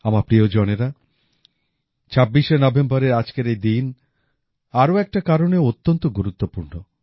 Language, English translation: Bengali, My family members, this day, the 26th of November is extremely significant on one more account